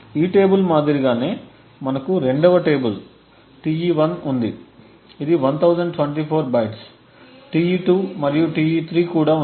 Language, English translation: Telugu, Similar to this table we have the 2nd table Te1 which is also of 1024 bytes, Te2 and Te3